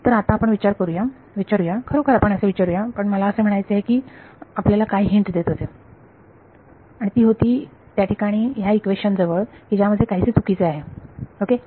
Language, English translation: Marathi, So, now let us let us actually ask I mean what I was hinting and that was at this equation over here that is something wrong with it ok